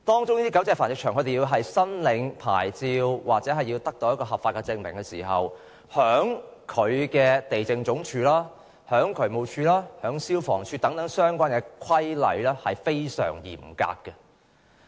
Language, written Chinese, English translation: Cantonese, 就狗隻繁殖場申領牌照或合法證明而言，地政總署、渠務署及消防處等相關部門均訂明非常嚴格的規例。, With regard to the application for a licence or legal proof for operating a dog breeding facility the Lands Department the Drainage Services Department the Fire Services Department and other relevant departments have all laid down very stringent regulations